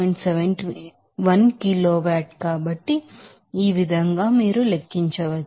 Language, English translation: Telugu, 71 kilowatt, so, in this way you can calculate